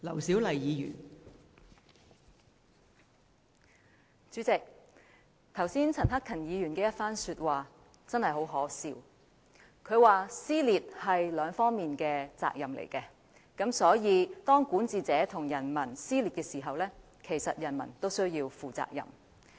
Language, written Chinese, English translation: Cantonese, 代理主席，剛才陳克勤議員的發言實在很可笑，他說撕裂是雙方的責任，所以當管治者與人民之間出現撕裂，其實人民也需要負上責任。, Deputy President the remarks made by Mr CHAN Hak - kan earlier are simply ludicrous . He said that the responsibility for creating dissension lies with both parties and therefore when there is dissension between the ruler and the people the people should actually be held responsible too